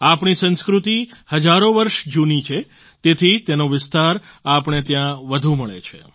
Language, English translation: Gujarati, Since our culture is thousands of years old, the spread of this phenomenon is more evident here